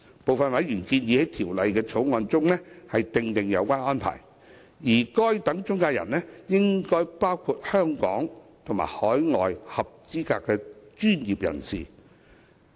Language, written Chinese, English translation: Cantonese, 部分委員建議在《條例草案》中訂定有關安排，而該等中介人應包括香港及海外合資格專業人士。, Some members have suggested that such arrangements be included in the Bill under which such intermediaries should include both qualified professionals in Hong Kong and overseas